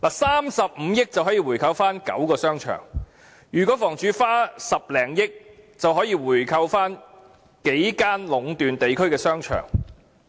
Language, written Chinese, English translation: Cantonese, 三十五億元便可購回9個商場，如果房署花10多億元，便可購回數間壟斷地區的商場。, It takes 3.5 billion to buy back nine shopping arcades and with an extra 1 billion or so HD can buy back several shopping arcades which are monopolizing the market in the districts